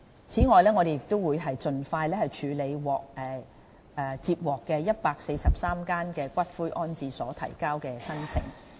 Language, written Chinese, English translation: Cantonese, 此外，我們會盡快處理143間骨灰安置所提交的申請。, Furthermore we will process as soon as possible the applications submitted by 143 columbaria